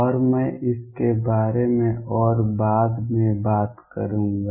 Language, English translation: Hindi, And I will talk about it more later